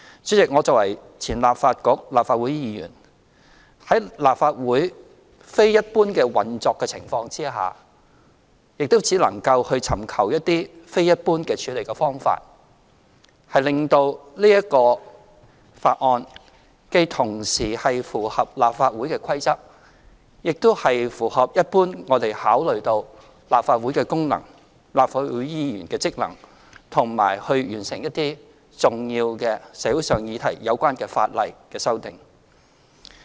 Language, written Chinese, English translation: Cantonese, 主席，我作為前立法局、立法會議員，在立法會非一般運作的情況下，亦只能夠尋求一些非一般處理方法，令到此法案既同時符合立法會的規則，亦符合我們一般考慮到立法會的功能、立法會議員的職能，以及完成一些與重要社會議題有關的法例修訂。, President I used to be a Member of the former Legislative Council and also once a Member of the Legislative Council . In face of a Legislative Council operating in extraordinary circumstances I can only pursue some extraordinary methods to deal with this Bill in such a way that would comply with the rules of the Legislative Council be in line with what we generally consider as the functions of the Legislative Council and its Members and accomplish the legislative amendment exercise that concerns some important social issues